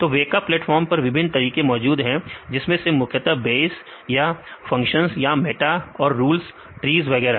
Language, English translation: Hindi, So, various methods available in the weka platform; so, broadly the classify as Bayes, or the functions or the meta and the rules, trees and so on